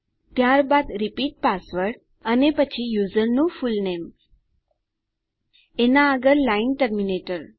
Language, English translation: Gujarati, Then repeat password and then fullname of the user followed by the line terminator